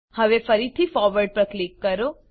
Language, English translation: Gujarati, Now, click on Forward again